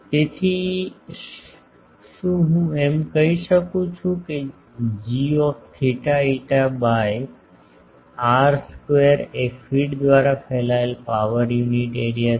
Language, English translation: Gujarati, So, can I say that g theta phi by r square is the power per unit area radiated by the feed